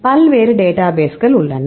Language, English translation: Tamil, So, there are various databases